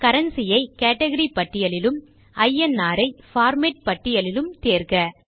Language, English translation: Tamil, Select Currency from the Category List and INR from the Format List